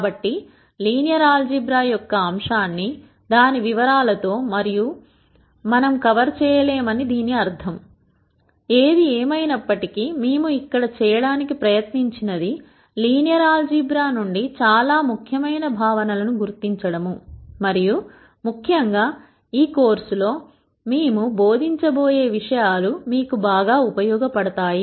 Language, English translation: Telugu, So, that necessarily means that we cannot cover the topic of linear algebra in all its detail; however, what we have attempted to do here is to identify the most im portant concepts from linear algebra, that are useful in the eld of data science and in particular for the material that we are going to teach in this course